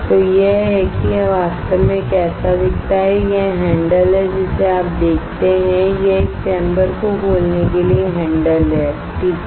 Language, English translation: Hindi, So, this is how it actually looks like this is the handle you see this one is the handle to open the chamber alright